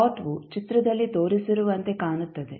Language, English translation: Kannada, The plot would look like as shown in the figure